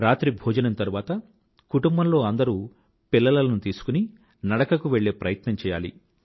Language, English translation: Telugu, After dinner, the entire family can go for a walk with the children